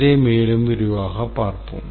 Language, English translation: Tamil, Let's look at it in further detail